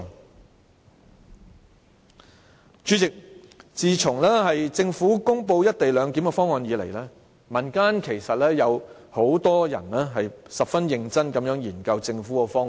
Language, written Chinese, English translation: Cantonese, 代理主席，自從政府公布"一地兩檢"的方案以來，民間有很多人曾十分認真地研究政府的方案。, Deputy President after the announcement of the co - location proposal by the Government many members of the community have seriously studied the Governments proposal